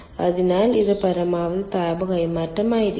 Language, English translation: Malayalam, so this will be the maximum amount of heat transfer